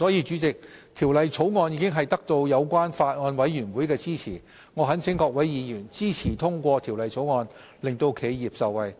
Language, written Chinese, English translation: Cantonese, 主席，《條例草案》已得到相關法案委員會的支持，我懇請各位議員支持通過《條例草案》，令企業受惠。, President the Bill has already won the support of the Bills Committee and I urge Members to support the passage of the Bill so that enterprises will benefit